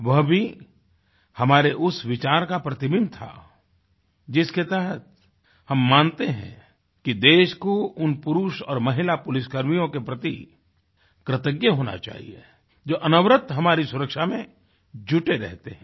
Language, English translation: Hindi, That too echoed the same sentiment, and we believe that we should be ever grateful to those policemen & police women, who relentlessly ensure our safety & security